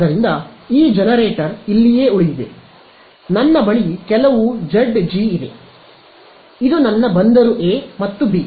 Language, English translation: Kannada, So, this generator remains here, I have some Zg this is my port a and b right